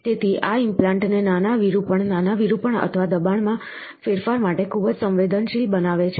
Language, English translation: Gujarati, So, this makes the implant very sensitive to even small deflect, small deflections or change in pressure